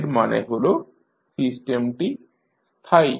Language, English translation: Bengali, That means that the system is stable